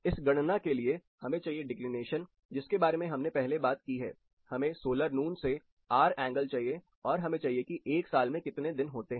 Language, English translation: Hindi, So, you need few indicators like declination which we talked about earlier, you need the hour angle from solar noon, then you will need the number of day of year